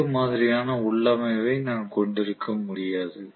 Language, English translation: Tamil, I cannot have different configurations for both